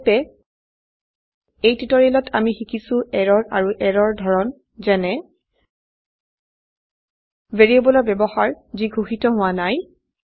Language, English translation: Assamese, In this tutorial we have learnt, errors and types of errors such as Use of variable that has not been declared